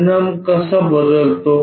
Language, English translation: Marathi, How the result really changes